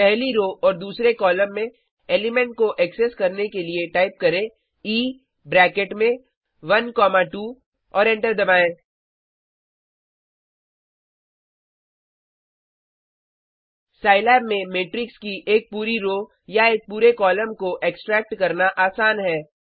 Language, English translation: Hindi, To access the element in the first row and second column, type E into bracket 1,2 and press enter It is easy to extract an entire row or an entire column of a matrix in Scilab